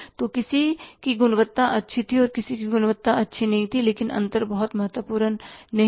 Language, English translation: Hindi, So, somebody was good in the quality, somebody was not good in the quality, but the difference was not very significant